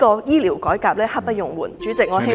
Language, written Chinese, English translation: Cantonese, 醫療改革刻不容緩，主席，我希望政府做......, We should conduct healthcare reform without delay . President I hope the Government